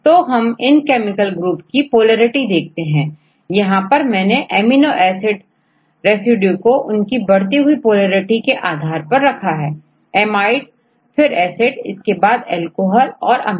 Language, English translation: Hindi, So, we look into the polarity of these chemical groups, here I give the amino acid residues within an increased order of polarity, amides and the acid then alcohol and the amine is more than ether and alkaline